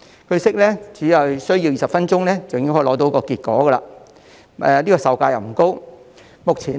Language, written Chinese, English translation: Cantonese, 據悉，只需20分鐘便可以得到結果，而且售價不高。, It is reported that the result can be obtained in 20 minutes and the testing kit is not expensive